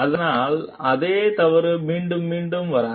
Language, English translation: Tamil, So, that the same mistake does not get repeated again